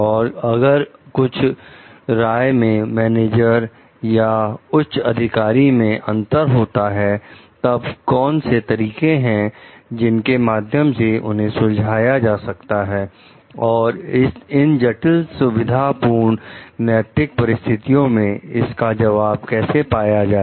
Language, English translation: Hindi, And if some like differences of opinion are there, like with the managers or the higher ups, then what are the like ways to solve these things; how to answer these critical like ethical dilemma situations